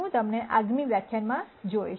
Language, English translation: Gujarati, I will see you the next lecture